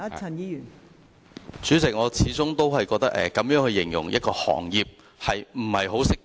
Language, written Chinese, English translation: Cantonese, 代理主席，我始終覺得這樣形容一個行業並不恰當。, Deputy President I maintain that it is inappropriate to use such a word to describe a profession